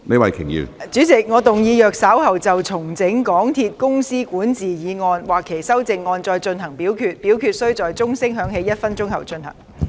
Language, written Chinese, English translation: Cantonese, 主席，我動議若稍後就"重整港鐵公司管治"所提出的議案或修正案再進行點名表決，表決須在鐘聲響起1分鐘後進行。, President I move that in the event of further divisions being claimed in respect of the motion on Restructuring the governance of MTR Corporation Limited or any amendments thereto this Council do proceed to each of such divisions immediately after the division bell has been rung for one minute